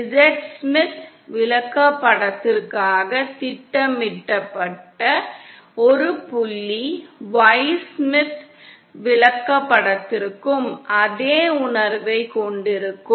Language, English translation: Tamil, And a point that is plotted for the Z Smith chart, will have the same sense for the Y Smith chart